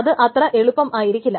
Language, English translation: Malayalam, It's not going to be easy